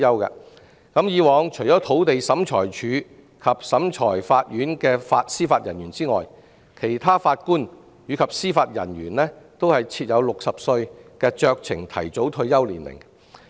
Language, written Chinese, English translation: Cantonese, 以往除土地審裁處及裁判法院的司法人員外，其他法官及司法人員均設有60歲的酌情提早退休年齡。, Discretionary early retirement at the age of 60 is already available to all JJOs except those of the Lands Tribunal and the Magistrates Courts